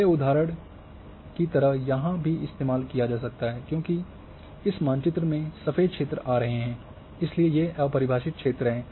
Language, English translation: Hindi, So,this thing can also be used as in earlier examples the white areas were coming in a map, so these are the undefined areas